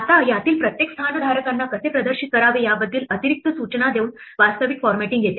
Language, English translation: Marathi, Now the real formatting comes by giving additional instructions on how to display each of these place holders